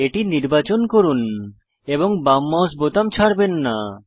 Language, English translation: Bengali, Select it, and do not release the left mouse button